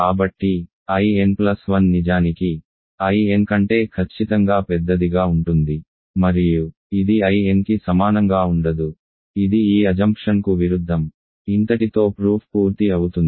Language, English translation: Telugu, So, I n plus 1 would be in fact, strictly bigger than I n and it will not be equal to I n which contradicts this assumption so that is the completion that completes the proof